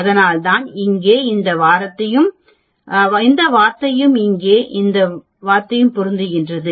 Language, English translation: Tamil, 05 and that is why this term here and this term here matches